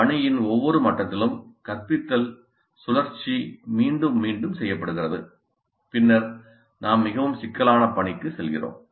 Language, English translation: Tamil, At each level of the task, the instruction cycle is repeated and then we move to a more complex task